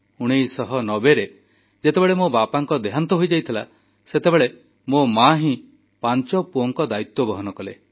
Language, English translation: Odia, In 1990, when my father expired, the responsibility to raise five sons fell on her shoulders